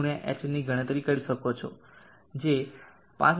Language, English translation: Gujarati, h which is 5991